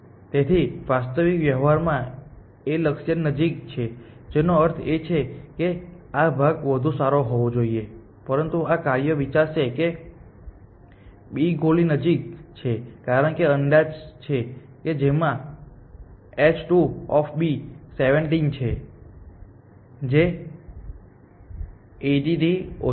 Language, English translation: Gujarati, So, in actual practice A is closer to the goal which means this part should have been better, but this function will think that B is closer to the goal because of the estimate it has h 2 of B is 70 which is less than 80